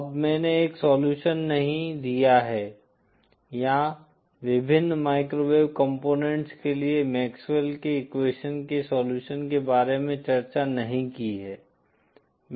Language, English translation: Hindi, Now I have not given a solution or discussed about the solution of the MaxwellÕs equation for various microwave components